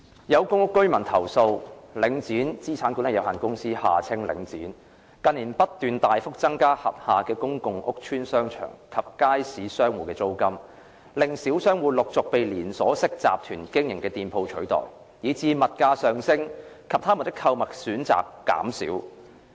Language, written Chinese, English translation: Cantonese, 有公屋居民投訴，領展資產管理有限公司近年不斷大幅增加轄下公共屋邨商場及街市商戶的租金，令小商戶陸續被連鎖式集團經營的店鋪取代，以致物價上升及他們的購物選擇減少。, Some public rental housing PRH residents have complained that as Link Asset Management Limited the Link has incessantly raised substantially the rents charged to the shop operators of the shopping centres and markets in public housing estates under its management in recent years small businesses have been replaced one after another by shops run by chain groups resulting in higher commodity prices and fewer shopping choices for them